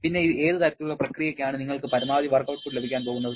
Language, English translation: Malayalam, Then, for which kind of process you are going to get the maximum work output